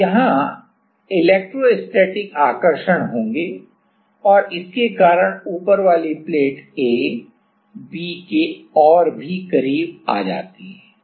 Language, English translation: Hindi, Now, these are there will be electrostatic attraction and because of that the top plate A comes even closer to B